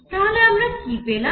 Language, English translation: Bengali, So, what have we got